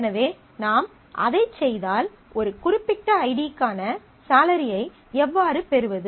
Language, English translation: Tamil, So, if we do that, then how do we get the salary for a particular id